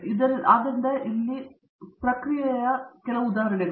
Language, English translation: Kannada, And so these are again examples where processing